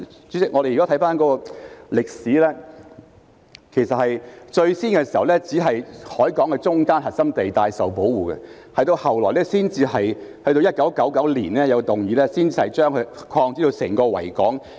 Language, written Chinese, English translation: Cantonese, 主席，我們回顧歷史，其實最初只是海港中間的核心地帶受保護，後來在1999年提出修訂後才擴展至包括整個維港。, President let us look back on history . In the beginning only the core at the centre of the harbour was protected . Then in 1999 amendments were proposed to extend the area under protection to the whole of Victoria Harbour